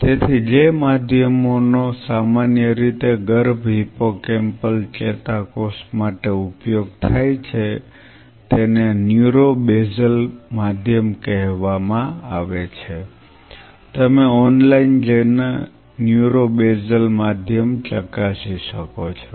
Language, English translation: Gujarati, So, the mediums which are commonly used for fetal hippocampal neuron are called neuro basal medium you can go online and check it out neuro basal medium